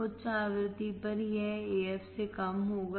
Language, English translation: Hindi, At high frequency, it will be less than AF